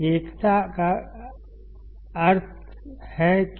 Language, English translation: Hindi, Unity gain means what